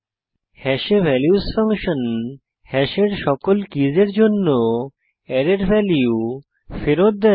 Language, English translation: Bengali, values function on hash returns an array of values for all keys of hash